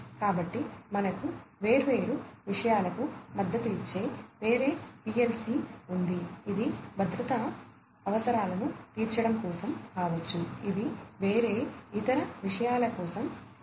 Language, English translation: Telugu, So, we have different PLC supporting different things for example, this one could be for catering to safety requirements, these ones could be for different other things and so on